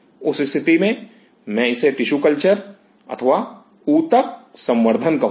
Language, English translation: Hindi, In that situation, I will call it a tissue culture